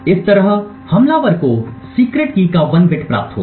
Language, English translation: Hindi, With this way the attacker would obtain 1 bit of the secret key